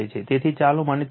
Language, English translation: Gujarati, So, therefore let me clear it